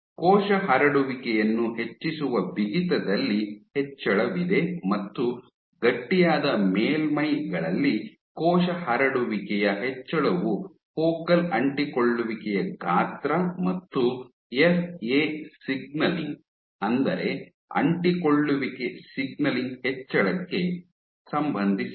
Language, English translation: Kannada, There is increase in stiffness drives increase in cells spreading and this increase in cell spreading on stiffer surfaces is associated with increased in focal adhesion size and FA signaling